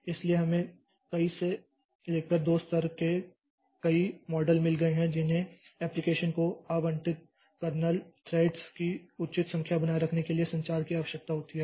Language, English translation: Hindi, So, we have got many to many and two level models that require communication to maintain the appropriate number of kernel threads allocated to the application